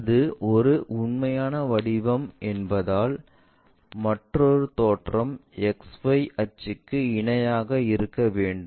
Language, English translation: Tamil, Because it is a true shape is other view must be parallel to XY axis